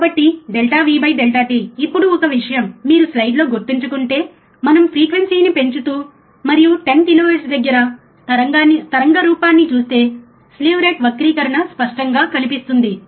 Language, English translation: Telugu, So, delta V by delta t, now one thing if you remember in the slide, we have said that increasing the frequency, and watch the waveform somewhere about 10 kilohertz, slew rate distortion will become evident